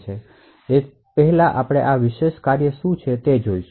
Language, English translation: Gujarati, So, we will first look at what these special functions are